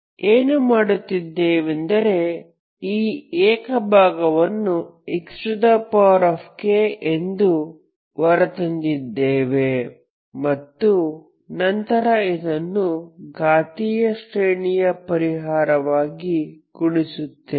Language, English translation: Kannada, So what we did is so we we we brought out this singular part as x power k and then you multiply this as a power series solution